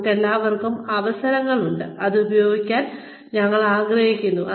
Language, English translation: Malayalam, We all have opportunities, that we want to make use of